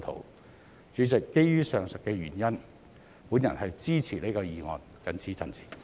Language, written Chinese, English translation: Cantonese, 代理主席，基於上述理由，我支持這項議案，謹此陳辭。, Deputy President for the aforesaid reasons I support this motion . I so submit